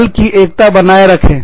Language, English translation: Hindi, Maintain, team solidarity